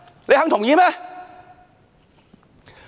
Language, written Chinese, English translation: Cantonese, 你們肯同意嗎？, Are you willing to agree?